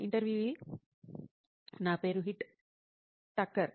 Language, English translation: Telugu, My name is Heet Thakkar